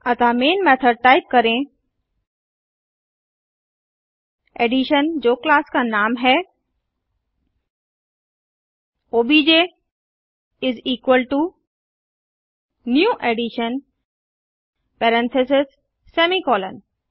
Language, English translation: Hindi, So in the Main method type Addition i.e the class name obj is equalto new Addition parentheses semicolon